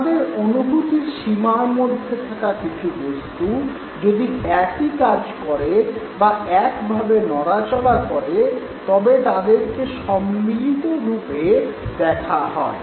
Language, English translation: Bengali, So, objects in our perceptual field that function or move together in similar manner, they will always be perceived together